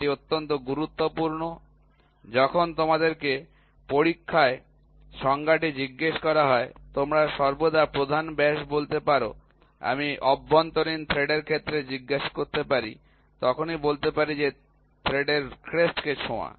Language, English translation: Bengali, Please and this is very important, when you when the definition is asked in the examination you can always say the major diameter I can ask in terms of with internal threads, touches the crest of the thread